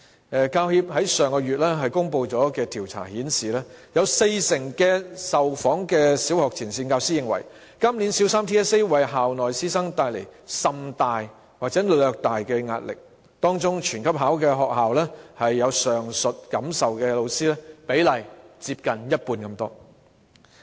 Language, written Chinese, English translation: Cantonese, 香港教育專業人員協會在上月公布的調查顯示，有四成的受訪小學前線教師認為，今年小三 TSA 為校內師生帶來甚大或略大的壓力；在"全級考"的學校中有上述感受的教師，比例接近一半。, It did not change its original nature of bringing pressure to bear on teachers and students . As indicated in a survey released by the Hong Kong Professional Teachers Union last month 40 % of the frontline primary school teachers interviewed considered that the Primary 3 TSA had brought great or slightly greater pressure to teachers and students in their schools this year . In those schools sending all the students in the grade to take the assessment nearly half of the teachers shared this feeling